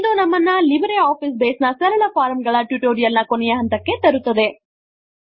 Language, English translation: Kannada, This brings us to the end of this tutorial on Simple Forms in LibreOffice Base